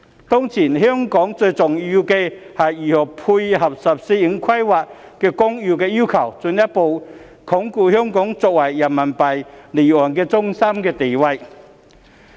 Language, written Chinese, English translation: Cantonese, "當前香港最重要是如何配合《十四五規劃綱要》的要求，進一步鞏固香港作為人民幣離岸中心的地位。, At present it is most important for Hong Kong to find ways to meet the requirements of the Outline of the 14th Five - Year Plan with a view to further consolidating Hong Kongs position as an offshore RMB centre